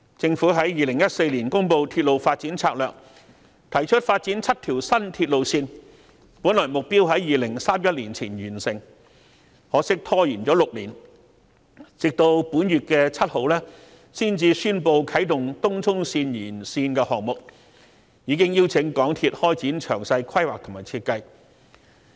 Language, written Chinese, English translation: Cantonese, 政府在2014年公布《鐵路發展策略2014》，提出發展7條新鐵路線，本來目標在2031年前完成，可惜拖延了6年，直到本月7日才宣布啟動東涌綫延綫項目，已邀請香港鐵路有限公司開展詳細規劃及設計。, The Governments Railway Development Strategy 2014 announced in 2014 had set out seven new railway projects to be completed by 2031 yet it was not until six years later that the commencement of the Tung Chung Line Extension project was announced on 7 this month and MTR Corporation Limited was invited to proceed with detailed planning and design